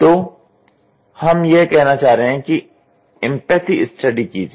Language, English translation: Hindi, So, what we are trying to say is we are trying to say please do empathy study